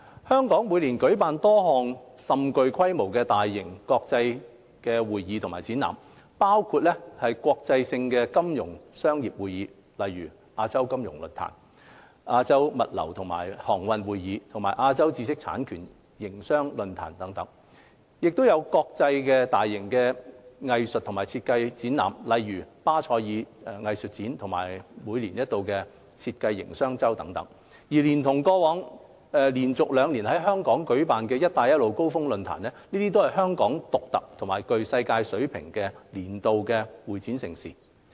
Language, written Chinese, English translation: Cantonese, 香港每年舉辦多項甚具規模的大型國際性會議及展覽，包括國際性的金融商業會議如亞洲金融論壇、亞洲物流及航運會議和亞洲知識產權營商論壇；國際性大型藝術及設計會展活動如巴塞爾藝術展及每年一度的設計營商周等，連同過去連續兩年在港舉辦的"一帶一路"高峰論壇，這些都是香港獨特或具世界級水平的年度會展盛事。, Every year Hong Kong hosts a number of large - scale international CE events including international finance and commerce conferences such as the Asian Financial Forum Asian Logistics and Maritime Conference and Business of IP Asia Forum; and large - scale international CE events on arts and design such as Art Basel and the annual Business of Design Week . Together with the Belt and Road Summit held in Hong Kong in the past two consecutive years all such events are unique or world - class annual CE highlights in Hong Kong